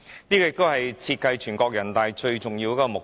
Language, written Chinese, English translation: Cantonese, 這亦是設計人大常委會最重要的目的。, This is also the most important purpose in the design of NPCSC